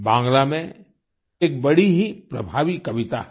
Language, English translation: Hindi, There is a very profound poemin Bangla